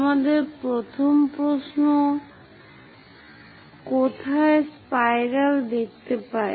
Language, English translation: Bengali, So, where do we see the first question spiral